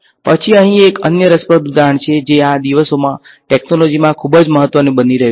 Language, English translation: Gujarati, Then here is another interesting example which in technology these days is becoming very important